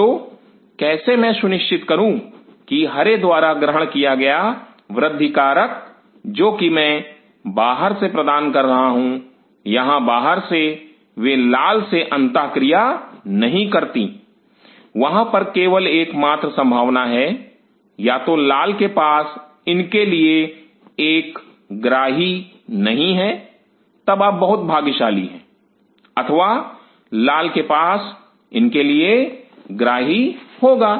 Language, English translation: Hindi, So, how I ensure that the growth factor received by green which I am providing from outside out here does not interact with the red, there is only one possibility either red does not have a receptor for it then you are very lucky or red will have receptor for it